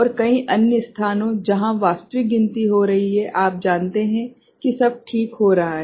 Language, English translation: Hindi, And various other places, where the actual count is you know happening all right